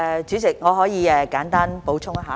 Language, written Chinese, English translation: Cantonese, 主席，我可以簡單補充。, President I can briefly add some information